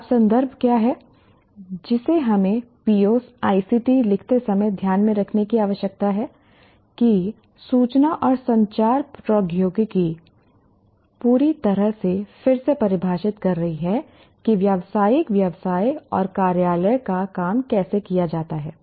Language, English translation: Hindi, So what is the context now that we need to keep in mind when we write POs, ICT, that information and communication technologies are completely redefining how professional business and office work is carried